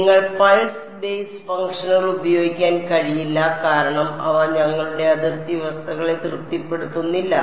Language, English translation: Malayalam, You cannot use pulse basis functions because they do not satisfy the boundary conditions that we have